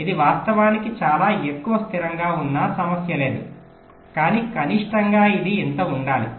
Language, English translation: Telugu, so it is in fact stable much more, no problem there, but minimum it should be this much